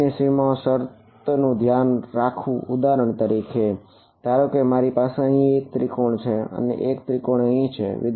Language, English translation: Gujarati, Take automatically take care of tangential boundary conditions for example, now supposing I have 1 triangle over here and another triangle over here